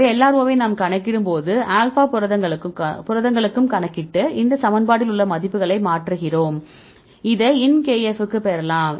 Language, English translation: Tamil, So, we calculate for any all alpha proteins we calculate LRO and substitute the values in this equation right and this you can get the ln kf